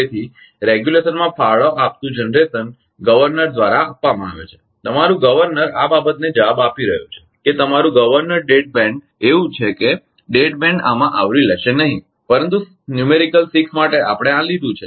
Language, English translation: Gujarati, So, generation contributing to regulation is it it is it is given by governor your governor is responding to ah this thing that your governor dead band is such that dead band will not cover in this, but for numerical 6 we have taken this